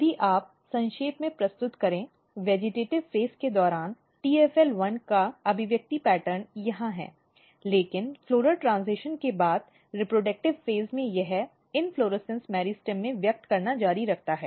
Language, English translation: Hindi, So, in during vegetative phase it is expressed here, here, but in the reproductive phase after floral transition it continue expressing in the inflorescence meristem